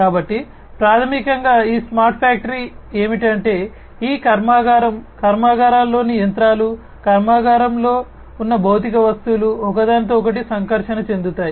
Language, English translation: Telugu, So, basically this smart factory what it does is these factory, machines in the factories, the physical objects that are there in the factory, which interact with one another